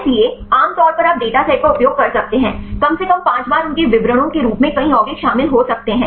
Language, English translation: Hindi, So, generally you can use the data set can contain at least 5 times as many compounds as their descriptors